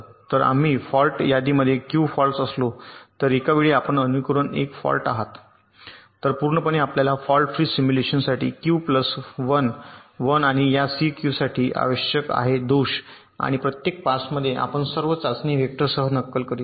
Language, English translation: Marathi, so if we are fault list consist of q faults, so at a time you are simulating one fault, so totally you need q plus one, one for the fault free simulation and q for this q faults and in each of the passes you are simulating with all the test vectors, like how you are ah simulating with test vectors